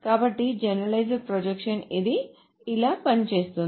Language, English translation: Telugu, So generalized projection, that's how this works